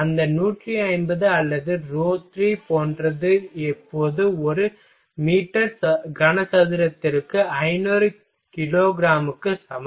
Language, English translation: Tamil, Something like that 150 or rho 3 is equal to 500 kilograms per meter cube now